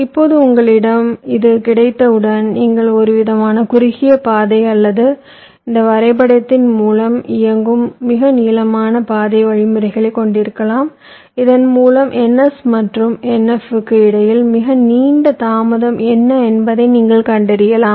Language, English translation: Tamil, now, once you have this, then you can have some kind of a shortest path or the longest path algorithms running through this graph so that you can find out what is the longest delay between n, s and n f, the longest delay